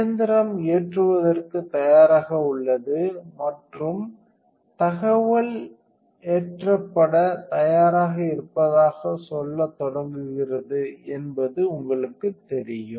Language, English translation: Tamil, You know that the machine is ready for load and started up when if the information says ready for a load